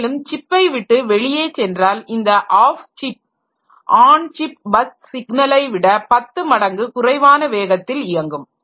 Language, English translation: Tamil, And whenever we go for off chip bus, the off chip bus is at least 10 times slower than the on chip signal lines